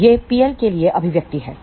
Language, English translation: Hindi, So, that is the expression for P l